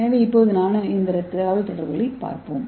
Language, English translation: Tamil, So now let us see a nano machine communication